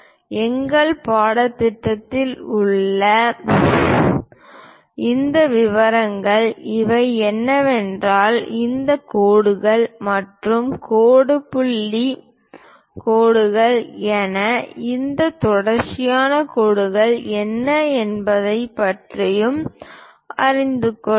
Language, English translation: Tamil, These are the inside details during our course we will learn about what are these dashed lines and also dash dot lines and what are these continuous lines also